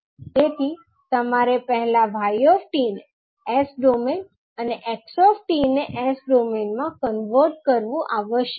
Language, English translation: Gujarati, So you have to first convert y t into s domain and x t into s domain